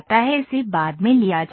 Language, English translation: Hindi, This is taken later